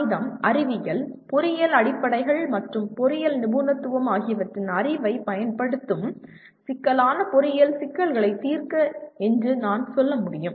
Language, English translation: Tamil, The statement says apply the knowledge of mathematics, science, engineering fundamentals and an engineering specialization to the solution of complex engineering problems